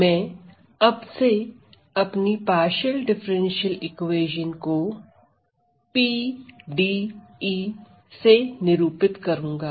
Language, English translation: Hindi, So, I from now on I am going to denote my partial differential equation as PDE